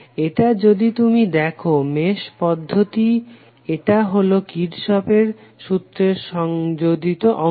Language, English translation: Bengali, It is if you see the mesh analysis technique it is merely an extension of Kirchhoff's law